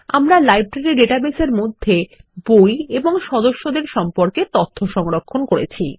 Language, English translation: Bengali, We have stored information about books and members in our Library database